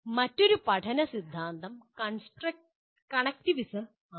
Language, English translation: Malayalam, Then another learning theory is “connectivism”